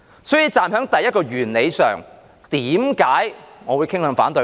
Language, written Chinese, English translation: Cantonese, 所以，站在第一個原理上，為甚麼我會傾向反對呢？, Therefore according to the first principle why do I tend to oppose it?